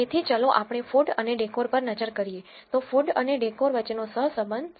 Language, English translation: Gujarati, So, let us look at food and decor so, correlation between food and decor is 0